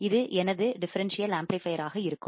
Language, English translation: Tamil, And this will be my differential amplifier